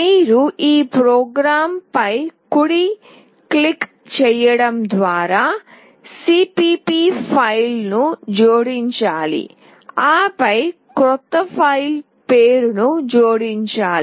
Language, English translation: Telugu, You have to add the cpp file by right clicking on your program and then add a new filename